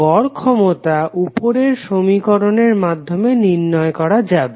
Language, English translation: Bengali, Average power would be given by this particular equation